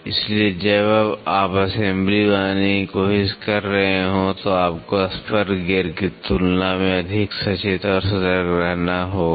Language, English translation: Hindi, So, when you are trying to make assembly you have to be more conscious and cautious as compare to that of spur gear